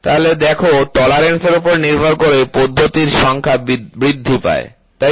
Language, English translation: Bengali, So, you see depending upon the tolerance, the number of process increases, right